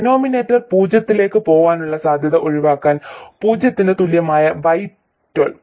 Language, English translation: Malayalam, Y1 2 equal to 0 to avoid the possibility of the denominator going to 0